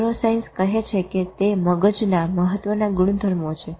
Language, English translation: Gujarati, Neuroscience says it's an emergent property of the brain